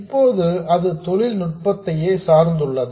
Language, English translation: Tamil, Now it also depends on the technology itself